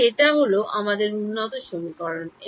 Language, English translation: Bengali, So, this is our update equation